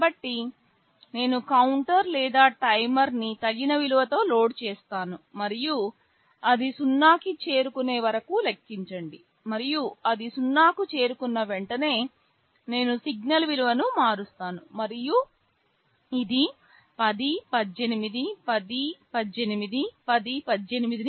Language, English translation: Telugu, So, I will be loading the counter or the timer with that appropriate value and let it go on counting down till it reaches 0, and as soon as it reaches 0, I change the value of the signal and this repeats 10, 18, 10, 18, 10, 18